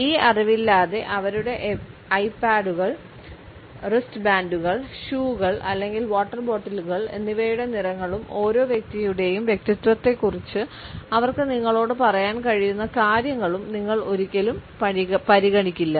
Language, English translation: Malayalam, Without this knowledge you would never consider the colors of their iPods, wristbands, shoes or water bottles and what they can tell you about each person’s personality